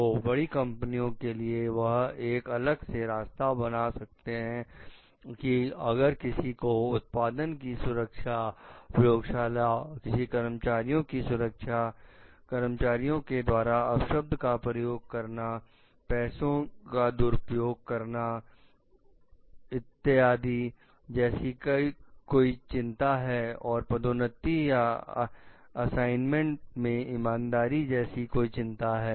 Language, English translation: Hindi, So, for the large companies that may provide a separate route for raising the concerns about product safety, laboratory, then worker safety, co workers abuse, misuse of funds etcetera so and the questions of fairness in promotion or work assignments